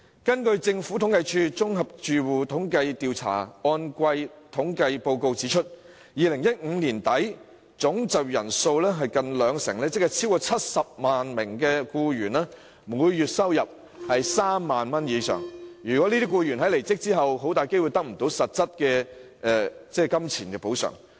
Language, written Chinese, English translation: Cantonese, 根據政府統計處綜合住戶統計調查按季統計報告 ，2015 年年底總就業人數近兩成，即超過70萬名僱員的每月收入為3萬元以上，這些僱員在離職後很大機會得不到實質金錢補償。, According to the Quarterly Report on General Household Survey published by the Census and Statistics Department as of the end of 2015 the monthly income of nearly 20 % of the total employment population or more than 700 000 employees was more than 30,000 . These employees are very likely to be unable to receive substantive compensation upon quitting their jobs